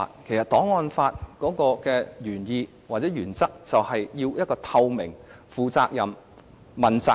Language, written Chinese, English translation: Cantonese, 其實，檔案法的原意或原則，是要確保政府透明、負責任、和接受問責。, Actually the intent or the principle of an archives law is to ensure a transparent responsible and accountable government